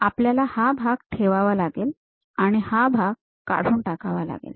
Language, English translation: Marathi, And we would like to retain that part and remove this part